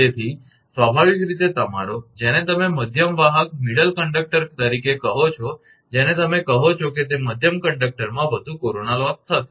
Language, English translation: Gujarati, So, naturally your, what you call that middle conductor your what you call hence there will be more corona loss in the middle conductor